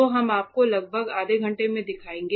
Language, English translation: Hindi, So, we will be showing you about for around half an hour